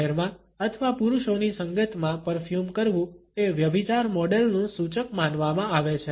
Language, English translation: Gujarati, To wear perfumes in public or in the company of men is considered to be an indication of adulteress models